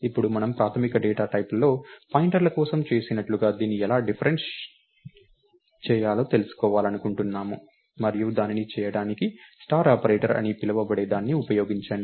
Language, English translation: Telugu, Now, we want to know how to dereference this, like we did for pointers in basic data types and the way to do that is, use what is called a star operator